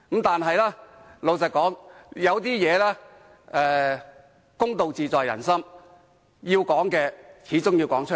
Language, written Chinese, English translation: Cantonese, 但是，老實說，有些事，公道自在人心，要說的始終要說出來。, Yet to be honest we keep fairness at our heart and we have to make comments when necessary